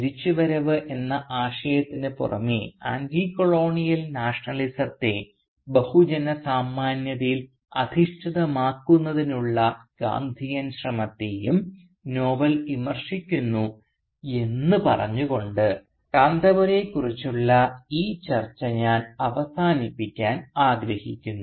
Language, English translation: Malayalam, Now I would like to end this discussion on Kanthapura by talking about how apart from the idea of return the novel also criticises the Gandhian attempt to make Anticolonial Nationalism mass based